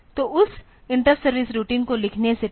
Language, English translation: Hindi, So, before writing that interrupt service routine